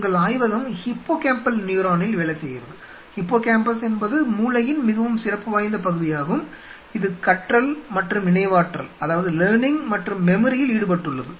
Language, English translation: Tamil, So, let us think of a situation your lab works on say hippocampal neuron, hippocampus is a very specialized part of the brain which is involved in learning and memory